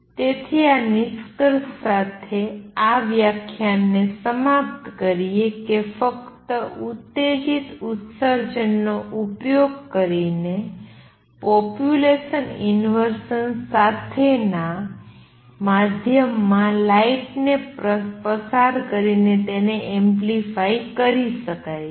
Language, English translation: Gujarati, So, just to conclude this lecture using stimulated emission light can be amplified by passing it through a medium with population inversion